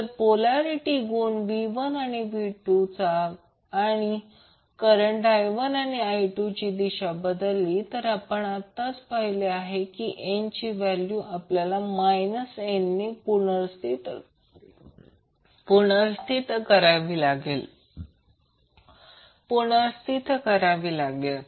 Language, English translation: Marathi, So if the polarity of V 1 and V 2 or the direction of I 1 and I 2 is changed, the value of N which we have just saw, we need to be replaced by minus n